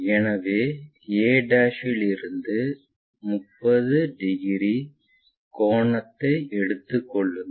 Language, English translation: Tamil, So, take 30 degree angle from a'